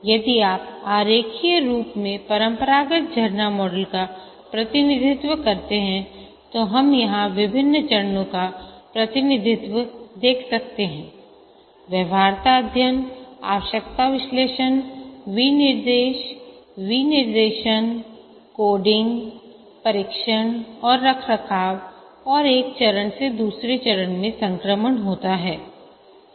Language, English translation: Hindi, If we represent the classical waterfall model in a diagrammatic form, we can see that the different phases are represented here, feasibility study, requirement analysis, specification, design, coding, testing and maintenance and there is a transition from one phase to the other